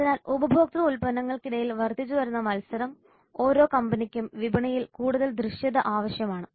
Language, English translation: Malayalam, So with growing competition among consumer products every company needs greater visibility in the market